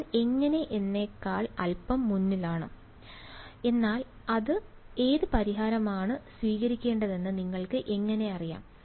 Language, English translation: Malayalam, How I am getting a little ahead of myself, but how would you know which solution to take